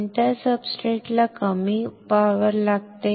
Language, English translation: Marathi, Which substrate we require less power